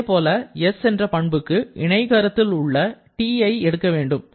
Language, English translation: Tamil, Similarly, for s you have to go to the diagonal which is T